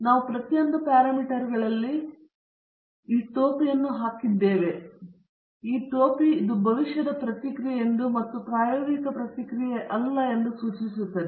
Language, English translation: Kannada, Now, we have put this hat on each of the parameters and also the response; this hat indicates that itÕs a predicted response and not the experimental response